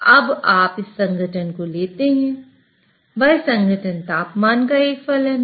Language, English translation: Hindi, Now you take this composition, that composition is a function of temperature